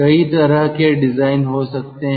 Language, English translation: Hindi, there could be a different kind of a design